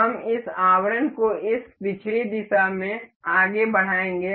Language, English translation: Hindi, We will move this casing in this backward direction